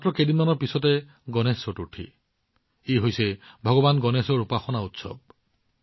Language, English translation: Assamese, Just a few days from now, is the festival of Ganesh Chaturthi, the festival of worship of Bhagwan Ganesha